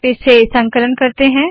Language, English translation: Hindi, We compile it